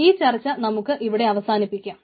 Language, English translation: Malayalam, so with this we will stop our discussion here